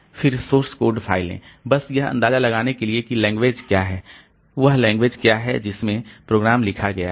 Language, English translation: Hindi, Then the source code file so just to have an idea like what language is the what the language in which the program is written